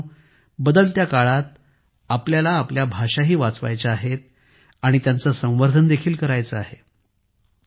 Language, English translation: Marathi, Friends, in the changing times we have to save our languages and also promote them